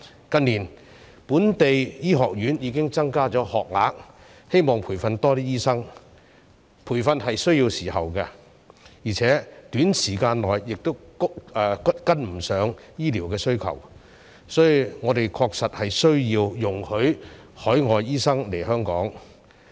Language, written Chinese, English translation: Cantonese, 近年，本地醫學院已經增加學額，希望培訓多一些醫生，但培訓需要時間，而且短時間內亦跟不上醫療需求，所以我們確實需要容許海外醫生來港。, In recent years local medical schools have already increased the number of places in the hope to train additional doctors . Yet training takes time and it will not be able to cope with our healthcare demand within a short time . Hence we really need to allow overseas doctors to come to Hong Kong